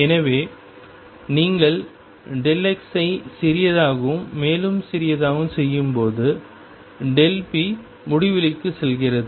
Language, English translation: Tamil, So, as you make delta x smaller and smaller delta p goes to infinity